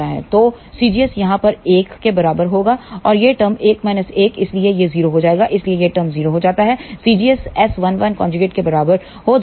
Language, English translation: Hindi, So, c gs will be equal to one over here and this term is 1 minus 1 so, that will become 0 so, this term becomes 0 so, c gs becomes equal to S 1 1 conjugate